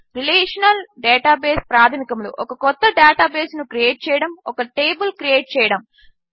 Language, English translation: Telugu, Relational Database basics, Create a new database, Create a table